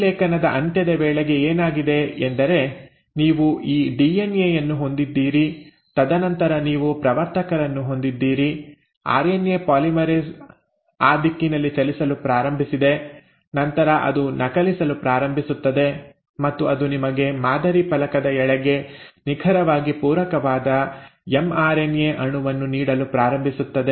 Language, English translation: Kannada, So what has happened by the end of transcription, so you had this DNA, and then you had the promoter, to which the RNA polymerase is bound started moving in that direction and then it starts copying and starts giving you an mRNA molecule which is the exact complimentary to the template strand